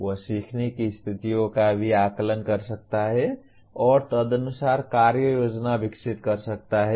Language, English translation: Hindi, He can also assess learning situations and develop plans of action accordingly